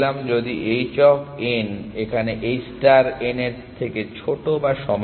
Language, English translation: Bengali, If h of n is less then equal to h star of n